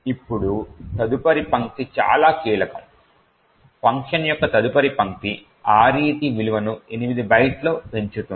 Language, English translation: Telugu, Now the next line is very crucial the next line of function increments the value of RET by 8 bytes